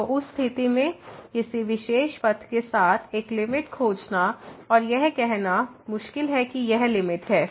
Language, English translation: Hindi, So, in that case it is difficult to find a limit along some particular path and saying that this is the limit